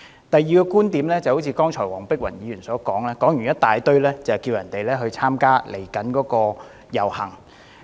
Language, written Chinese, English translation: Cantonese, 第二點，黃碧雲議員剛才長篇大論後，呼籲大家參加即將舉行的遊行。, Secondly just now after her lengthy speech Dr Helena WONG called on the people to join the upcoming procession